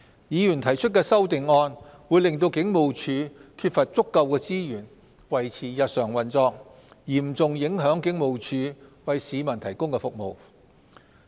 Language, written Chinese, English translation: Cantonese, 議員提出的修訂議案會令警務處缺乏足夠資源維持日常運作，嚴重影響警務處為市民提供的服務。, The amendments proposed by Members will reduce the necessary resources for the Hong Kong Police to maintain its everyday operation and will severely affect the public services provided by the Hong Kong Police